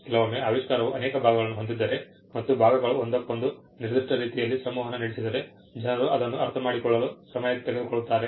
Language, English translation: Kannada, Sometimes, if the invention has multiple parts and if the parts interact with each other in a particular way, it takes time for people to understand that